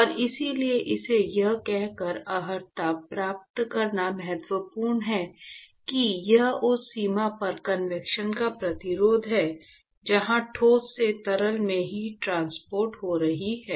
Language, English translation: Hindi, And that is why it is important to qualify it by saying that it is the resistance of convection at the boundary where the heat transport is occurring from solid to the liquid